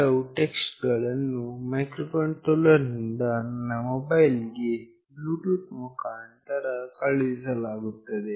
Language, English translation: Kannada, Some text from the microcontroller board will be sent to my mobile phone through Bluetooth